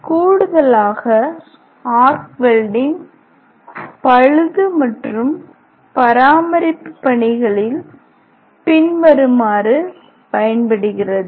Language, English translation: Tamil, In addition arc welding finds following application in repair and maintenance work